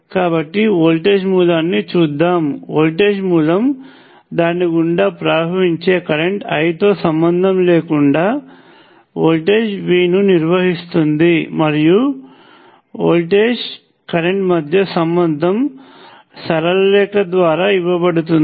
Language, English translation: Telugu, So let us look at voltage source, it maintenance a voltage V regardless of the current I that is flowing through it; and the relationship graphically is given by straight line